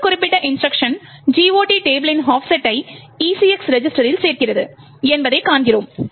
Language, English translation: Tamil, More details we see that this particular instruction adds the offset of the GOT table to the ECX register